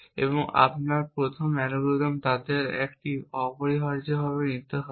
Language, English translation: Bengali, And your first algorithm will have to take one of them essentially